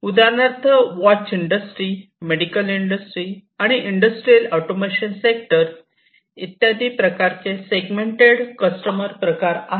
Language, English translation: Marathi, For example, the watch industry, the medical industry, and the industrial automation sectors; these are all like different segmented customer segments